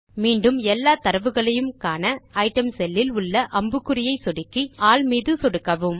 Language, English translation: Tamil, In order to view all the data, again click on the downward arrow on the cell named Item and click on All